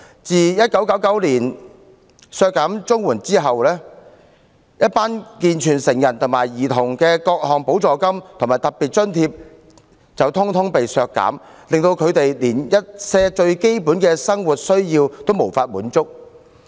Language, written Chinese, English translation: Cantonese, 政府在1999年削減綜援，為健全成人和兒童而設的各項補助金和特別津貼全遭削減，令他們一些最基本的生活需要得不到滿足。, In 1999 the Government cut down the CSSA rates . Various supplements and special grants for able - bodied adults and children were slashed . Consequently some of their most basic needs could not be met